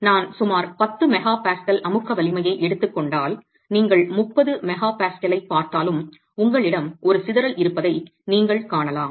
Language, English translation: Tamil, So, if I take a compressive strength of about 10 megapascals, you can see that you have a scatter even there